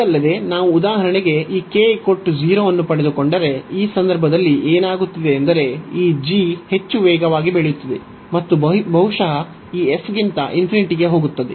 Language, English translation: Kannada, Further if we get for example this k to be 0, so in this case what is happening that means, this s this g is growing much faster and perhaps going to infinity than this f x, so we got this 0